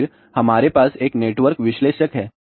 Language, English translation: Hindi, So, then we have a network analyzer